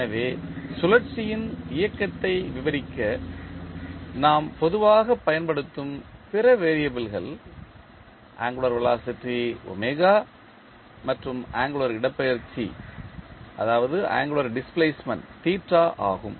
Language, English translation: Tamil, So, other variables which we generally use to describe the motion of rotation are angular velocity omega and angular displacement theta